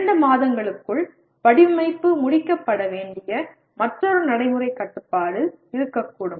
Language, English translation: Tamil, There can be another practical constraint the design should be completed within two months